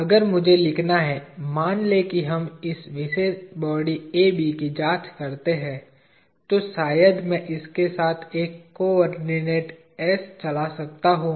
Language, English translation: Hindi, If I have to write, let us say we examine this particular body AB, I can probably run a coordinate s along this